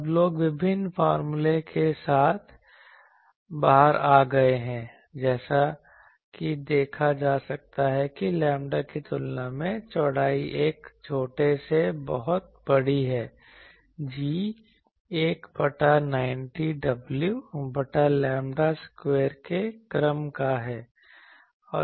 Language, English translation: Hindi, Now, people have come out with various formulas as can be seen where the width is much larger than a smaller than lambda, G is of the order of 1 by 90 w by lambda square